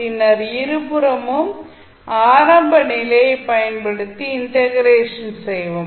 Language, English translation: Tamil, You have to integrate at both sides and use the initial condition